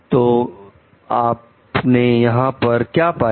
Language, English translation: Hindi, So, what you find over here